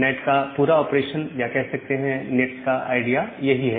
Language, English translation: Hindi, So, that is the entire operation or the idea of NAT